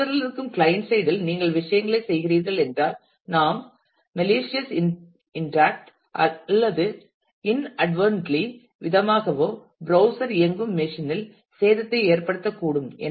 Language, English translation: Tamil, Because it is quite possible that if you are doing things on the client side that is on the browser then we might also inadvertently or by a malicious intact actually make damages to the machine on which the browser is running